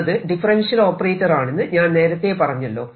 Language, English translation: Malayalam, this operator is actually a differential operator